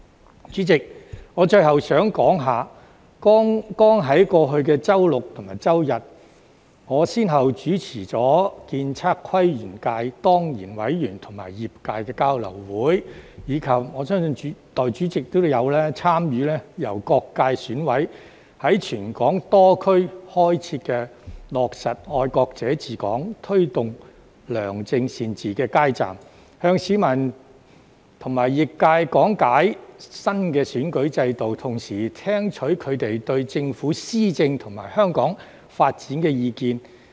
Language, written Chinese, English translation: Cantonese, 代理主席，我最後想說，在剛過去的周六及周日，我先後主持了建築、測量、都市規劃及園境界當然委員與業界的交流會，以及——我相信代理主席都有參與——由各界選委會委員在全港多區開設的"落實'愛國者治港'、推動良政善治"街站，向市民和業界講解新的選舉制度，同時聽取他們對政府施政及香港發展的意見。, Hence the legislative amendments this time around are necessary . Deputy President lastly I wish to say that last Saturday and Sunday I successively hosted the sharing session between the ex - officio members of the Architectural Surveying Planning and Landscape subsector and the industry as well as the street counters with the theme Implement Patriots Administering Hong Kong Promote Good Administration and Governance set up across the territory by EC members of various subsectors―in which I believe the Deputy President also participated―to explain the new electoral system to the public and the industry while listening to their views on the Governments implementation of policies and the development of Hong Kong